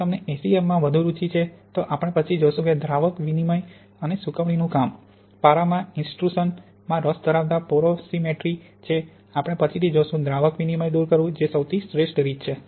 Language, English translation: Gujarati, If you are more interested in SEM, as we will see later, both solvent exchange and freeze drying work well; interested in mercury intrusion porosimetry then solvent exchange is by far the best as we will see later